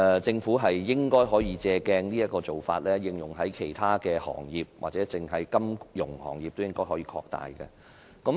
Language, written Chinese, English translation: Cantonese, 政府應該可以借鑒這個做法，應用在其他行業，或者擴大在金融業的應用。, The Government should draw on the experience and apply this practice to other industries or expand its application in the financial industry